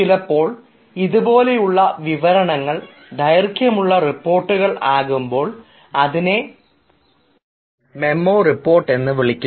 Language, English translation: Malayalam, and sometimes, when this explanation is a longer one, it can be written in the form of a report which we call a memo report